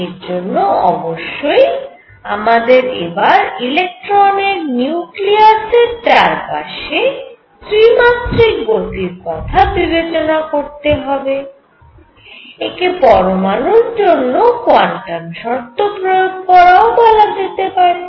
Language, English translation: Bengali, So, for that we now consider a full 3 dimensional motion of the electron around a nucleus which also can be called the application of quantum conditions to an atom